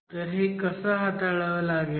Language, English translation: Marathi, So, how do you tackle this